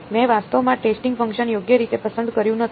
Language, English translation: Gujarati, I did not actually choose a testing function right